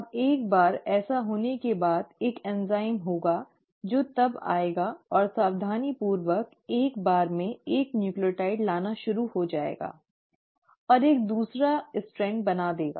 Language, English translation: Hindi, Now once that has happened the there has to be a enzyme which will then come and, you know, meticulously will start bringing in 1 nucleotide at a time and make a second strand